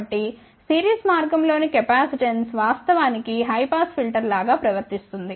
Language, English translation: Telugu, So, a capacitance in the series path will actually behave more like a high pass filter